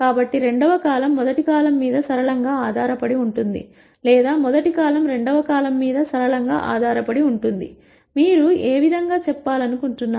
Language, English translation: Telugu, So, the second column is linearly dependent on the first column or the first column is linearly dependent on the second column, whichever way you want to say it